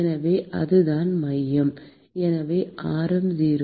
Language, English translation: Tamil, So, that is the center, so radius is 0